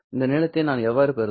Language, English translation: Tamil, But this is just the length